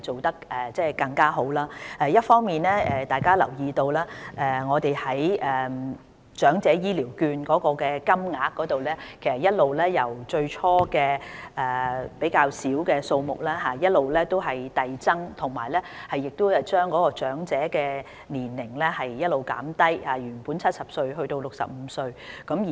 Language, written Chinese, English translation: Cantonese, 大家諒必有留意，我們一方面把長者醫療券的金額由最初較少的數目遞增，另一方面，我們亦降低符合申領資格的長者年齡，由原本的70歲降低至65歲。, Members may have noticed that on the one hand the amount of elderly health care vouchers which was lower originally has been gradually increased; on the other hand the eligibility age for the vouchers has been lowered from the original 70 to 65